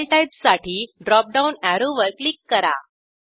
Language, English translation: Marathi, For File type, click on the drop down arrow